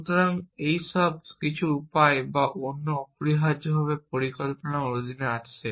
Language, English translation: Bengali, So, all this comes under planning some way or the other essentially